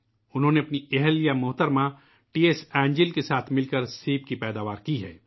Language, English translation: Urdu, He along with his wife Shrimati T S Angel has grown apples